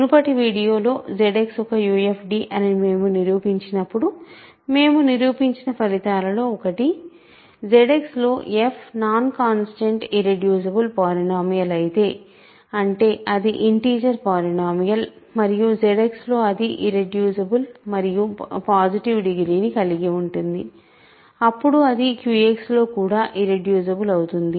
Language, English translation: Telugu, Let me comment that in the previous video when we proved that Z X is a UFD, one of the results we proved was if f is a non constant irreducible polynomial in Z X that means, it is an integer polynomial and in Z X it is irreducible and it has positive degree, then it is also irreducible in Q X